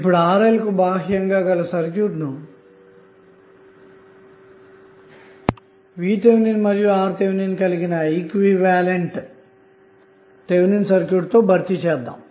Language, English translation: Telugu, Now what you will do the exact external to your load RL would be replaced by its Thevenin equivalent that is VTh and RTh